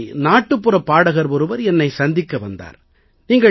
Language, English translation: Tamil, Once a folk singer came to meet me